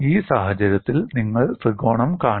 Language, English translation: Malayalam, You do not see the triangle at all in this case